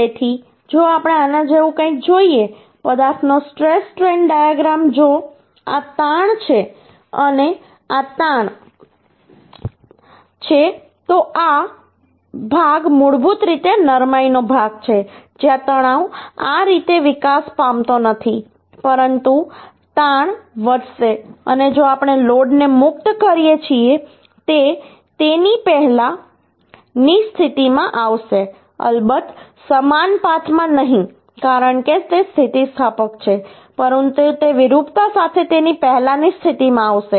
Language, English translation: Gujarati, So if we see uhh something like this, uhh the stress strain diagram of the uhh material, if this is strain and this is stress, then uhh this portion is basically the ductility portion, where stress is not developing as such, but the strain is going to be increase and if we uhh release the load, uhh, it will be coming to its earlier position, of course of in not in same path because it is inelastic, but it will come to its earlier position with deformation